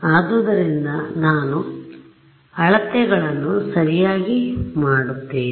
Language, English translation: Kannada, So, how many measurements will I make right